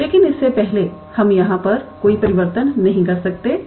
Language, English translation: Hindi, But before that we cannot simply put any transformation here